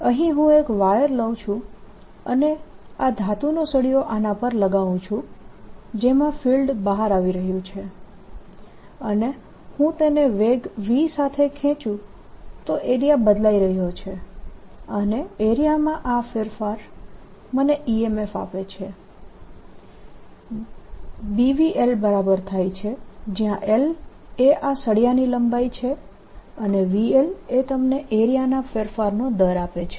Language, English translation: Gujarati, if i take a wire and put a rod on this metallic rod in which the field is coming out, and i pull this with velocity v, then the area is changing and this change in area gives me an e m f which is equal to b v times l, where l is the length of this rod, v l gives you the rate of change of area and the direction of current is going to be such that it changes